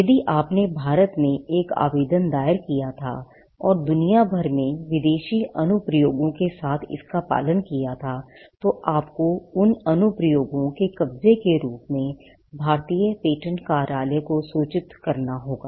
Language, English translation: Hindi, If you had filed an application in India and followed it up with applications around the world, foreign applications, then you need to keep the Indian patent office informed, as to, the possession of those applications